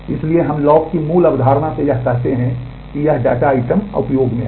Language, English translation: Hindi, So, we by the basic concept of the lock is you say that this data item is in use